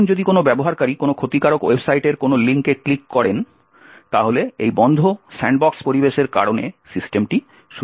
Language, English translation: Bengali, Now, if a user clicks on a link in a malicious website the system would still remain secure, because of this closed sandbox environment